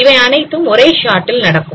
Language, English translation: Tamil, The whole thing you are doing in one shot